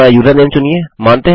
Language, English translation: Hindi, Choose your username